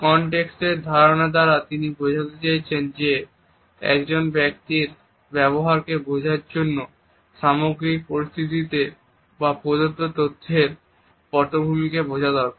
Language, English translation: Bengali, By the idea of context, he wants to suggest that in order to understand the behavior of a person it is necessary to encode the whole situation or background of the given information